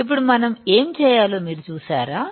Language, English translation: Telugu, Now, you see what we have to do